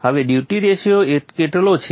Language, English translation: Gujarati, Now what is the duty ratio